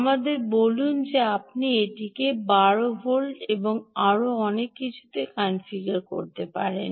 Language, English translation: Bengali, lets say, you can configure it to twelve volts, and so on and so forth